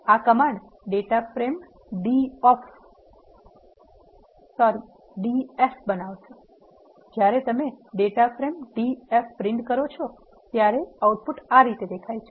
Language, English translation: Gujarati, This command will create a data frame d f when you print the data frame df, this is how the output looks